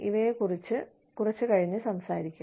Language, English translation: Malayalam, We will talk about these, a little later